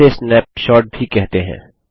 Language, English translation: Hindi, This is also known as a snapshot